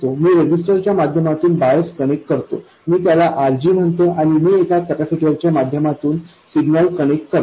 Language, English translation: Marathi, I connect the bias through a resistor, I call it RG, and I connect the signal through a capacitor C1